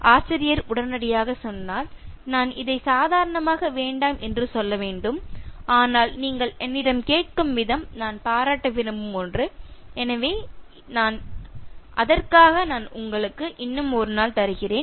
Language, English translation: Tamil, So, the teacher immediately said, that I should normally say no to this, but the way you ask me is something that I want to appreciate, so for that sake, I am just giving you one more day